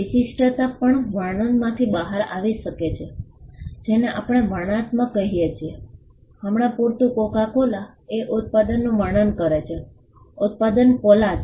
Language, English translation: Gujarati, The distinctiveness can also come out of a description, what we call descriptive; for instance, Coca Cola describes the product, the product being cola